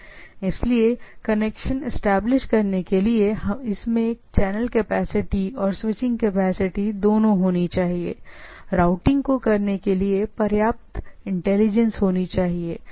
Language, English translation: Hindi, So, it should have both channel capacity and switching capability to establish connection; must have enough intelligence to work out routing